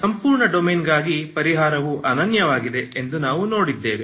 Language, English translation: Kannada, We also have seen for the full domain shown that the solution is unique, okay